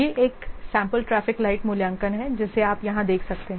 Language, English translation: Hindi, This is a sample traffic light assessment you can see here